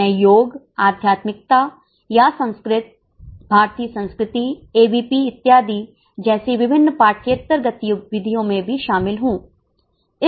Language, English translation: Hindi, I am also into various extracurricular but very important activities like yoga, spirituality or Sanskrit, Bharatiyya Sanskriti, ABVP and so on